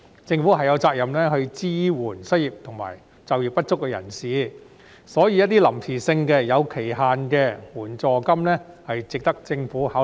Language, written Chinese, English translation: Cantonese, 政府有責任支援失業及就業不足人士，所以一些臨時性、有期限的援助金，是值得政府考慮。, The Government shoulders the responsibility to support the unemployed and underemployed hence it is worthwhile for the Government to consider some temporary and time - limited assistance